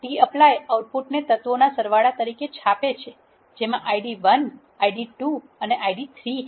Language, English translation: Gujarati, The tapply prints the output as the sums of the elements which are having Id 1, Id 2 and Id 3